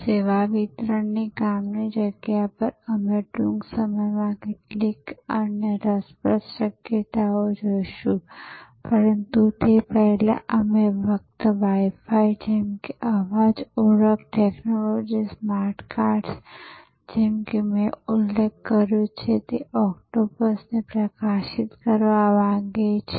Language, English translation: Gujarati, On the service delivery site, we will soon see some other interesting possibilities, but before that, we just want to highlight like Wi Fi, like voice recognition technology, smartcards, like octopus that I mentioned